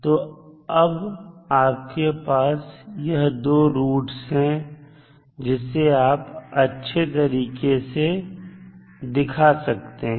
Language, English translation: Hindi, So, now you have these 2 roots in your hand then you can represent it in a more compact manner